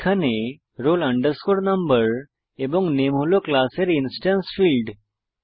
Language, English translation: Bengali, We can see that here roll no and name are the instance fields of this class